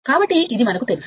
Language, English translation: Telugu, So, we know this